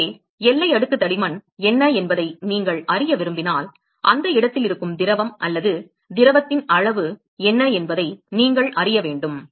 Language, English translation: Tamil, So, therefore, if you want to know what is the boundary layer thickness, you want to know what is the amount of fluid or liquid which is present in that location